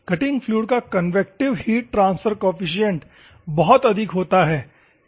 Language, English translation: Hindi, The convective heat transfer coefficient of the cutting fluid is very high